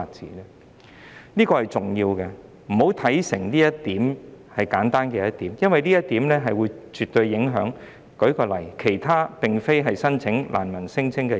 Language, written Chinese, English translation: Cantonese, 請大家不要把《條例草案》看得太簡單，因為這絕對會影響其他並非難民聲請的申請人。, Members should not take the Bill too lightly because it will definitely affect other applicants who are not refugee claimants